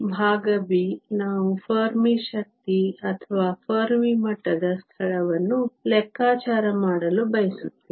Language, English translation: Kannada, Part b, we want to calculate the Fermi energy or the location of the Fermi level